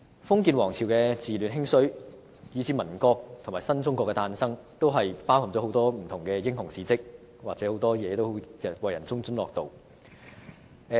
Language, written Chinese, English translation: Cantonese, 封建王朝的治亂興衰，以至民國和新中國的誕生，都包含很多不同的英雄事蹟，為人津津樂道。, From the rise and decline of feudal dynasties to the founding of the Republic of China and the birth of new China the history of China encompasses a lot of different heroic deeds which people take delight in talking about